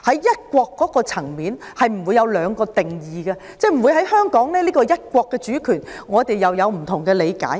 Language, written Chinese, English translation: Cantonese, "一國"不會有兩個定義，即在香港，我們不會對"一國"的主權有不同的理解。, One country does not have two definitions; that is to say in Hong Kong there is no way we can have different interpretations of the sovereignty of one country